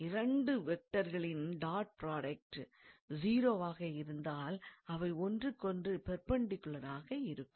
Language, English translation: Tamil, So, if the dot product of 2 vectors as 0; then, they must be perpendicular to one another